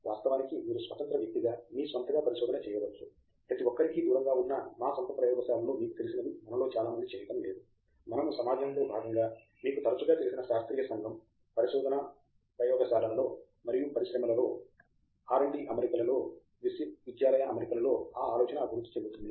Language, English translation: Telugu, Of course, you could do research on your own as an independent person but most of us are not doing that you know in our own lab hidden away from everybody, we do it as a part of a community, a scientific community which you often you know is thriving in university setting also in research labs and in industry, R and D setting and so on